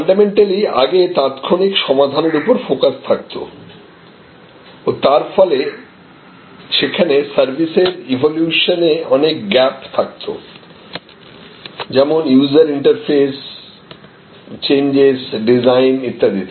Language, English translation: Bengali, So, fundamentally that, where the focus earlier was on current fixes and there as a result there were many different gaps in the evolution of the service, user interface, changes, design, etc